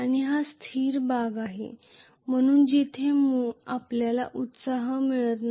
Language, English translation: Marathi, And this as the stationary part from where I am getting the excitation